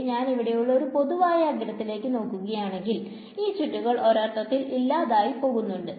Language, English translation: Malayalam, So, if I look at this common edge over here, these swirls are in some sense cancelling off